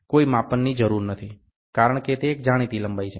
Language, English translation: Gujarati, No measurement is required, because it is a known length